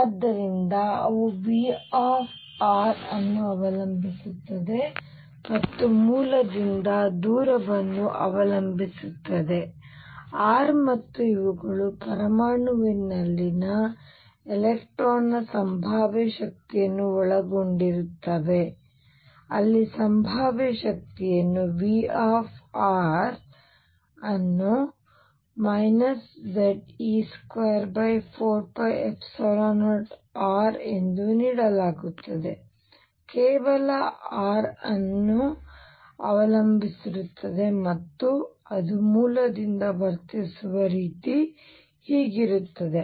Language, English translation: Kannada, So, this is what they do not do what they do is they depend V r depends only on the distance r from the origin and these will include potential energy of an electron in an atom where the potential energy V r is given as minus Ze square over 4 pi epsilon 0 r it depends only on r and the way it behaves from the origin is like this